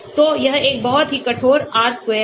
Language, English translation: Hindi, So this is a very stringent R square